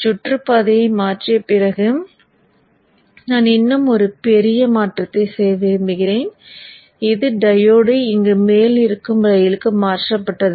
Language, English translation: Tamil, Okay, so after having flipped the circuit, I would like to do one more major change, which is the diode being shifted to the upper, upper rail here and the bottom lane is a plane conductor